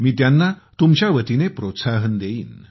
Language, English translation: Marathi, I will encourage them on your behalf